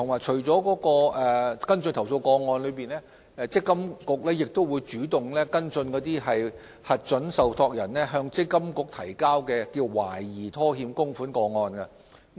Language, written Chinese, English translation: Cantonese, 除跟進投訴個案，積金局亦會主動跟進核准受託人提交的懷疑拖欠供款個案。, In addition to following up on complaints MPFA has been proactively taking follow - up action on suspected cases of employers default on contributions